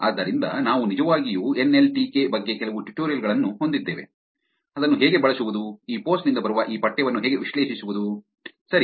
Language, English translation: Kannada, So, we will actually have some tutorials also about NLTK, how to use it how to analyze this text that are coming from these post, all right